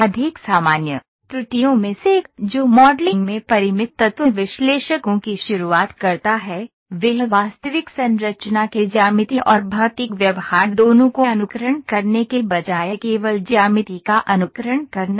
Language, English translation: Hindi, One of the more common errors that beginning finite element analysts make in a modelling is to simply simulate the geometry rather than to simulate both geometry and physical behaviour of the real structure,ok